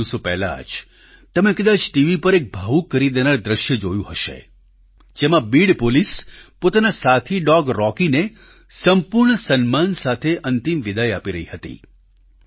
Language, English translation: Gujarati, You might have seen a very moving scene on TV a few days ago, in which the Beed Police were giving their canine colleague Rocky a final farewell with all due respect